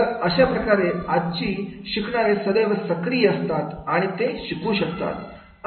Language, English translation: Marathi, So that the today's learners, they are always on and they can learn